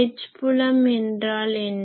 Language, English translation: Tamil, So, what is the H field